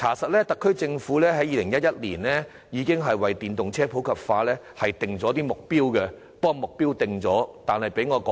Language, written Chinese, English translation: Cantonese, 事實上，特區政府在2011年已為電動車普及化設定目標，但卻毫無成效。, In fact the SAR Government has already formulated objectives for the popularization of EVs in 2011 but no effect has so far been achieved